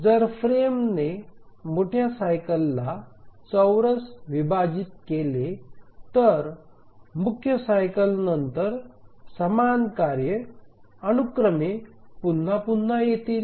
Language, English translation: Marathi, If the frame squarely divides the major cycle, then after the major cycle the same task sequence will repeat